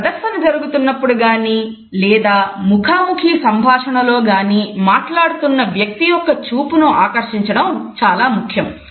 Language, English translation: Telugu, During a presentation as well as during a one to one conversation it is important to captivate the eyes of the person with whom you are talking